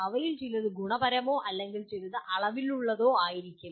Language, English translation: Malayalam, Some of them are qualitative or some are quantitative